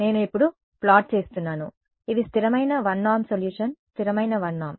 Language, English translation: Telugu, I am plotting now these are constant 1 norm solution constant 1 norm